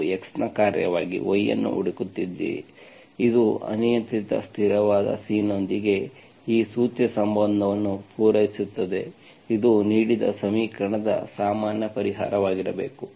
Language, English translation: Kannada, If you are looking for y as a function of x, this satisfies this implicit relation with an arbitrary constant C, it should be the general solution of the given equation